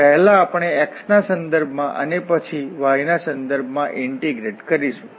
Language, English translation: Gujarati, And first we will integrate with respect to x and then with respect to y